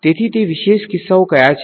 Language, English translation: Gujarati, So, what are those special cases